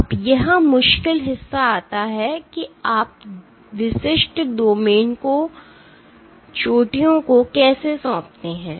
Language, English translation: Hindi, Now, it comes the tricky part comes is, how do you assign the peaks to specific domains